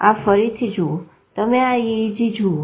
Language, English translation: Gujarati, See this is again you can see the EEG